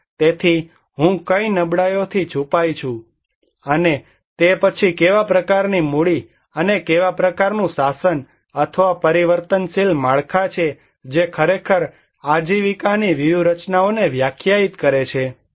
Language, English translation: Gujarati, So, what vulnerability I am exposed to, and then what kind of capitals and what kind of governance or transforming structures I have that actually define the livelihood strategies